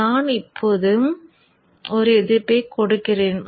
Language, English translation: Tamil, Okay, so let me now put a resistance